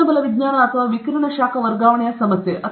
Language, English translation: Kannada, problem in thermodynamics or radiative heat transfer